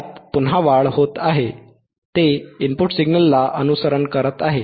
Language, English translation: Marathi, the It is increasing again, it is following the input signal right